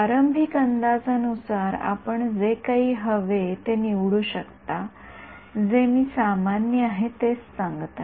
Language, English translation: Marathi, Initial guess initial guess, you can choose anything you want I am just telling you what is common